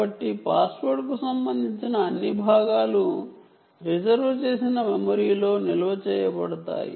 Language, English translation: Telugu, so all password related parts are stored in in the reserved memory